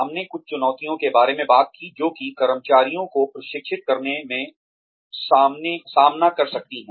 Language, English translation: Hindi, We talked about some challenges, that one can face, in training the employees